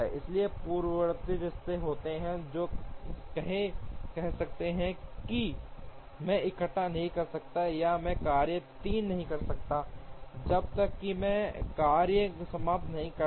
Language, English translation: Hindi, Therefore, there are precedence relationships, which may say that I cannot assemble or I cannot do task 3 unless I finish task 2